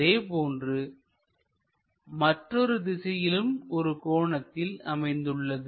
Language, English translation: Tamil, Similarly creates an angle in this direction